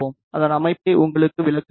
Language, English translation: Tamil, Let me explain the setup to you